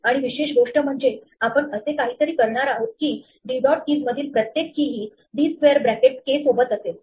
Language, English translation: Marathi, And the typical thing we would do is for every key in d dot keys do something with d square bracket k